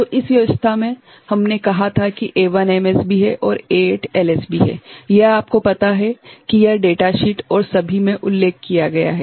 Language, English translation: Hindi, So, in this arrangement we had said that a A1 is the MSB right and A8 is the LSB, that is how it has been you know, mentioned in the data sheet and all